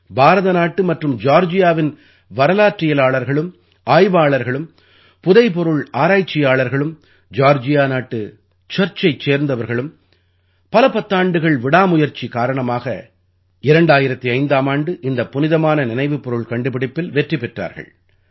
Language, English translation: Tamil, After decades of tireless efforts by the Indian government and Georgia's historians, researchers, archaeologists and the Georgian Church, the relics were successfully discovered in 2005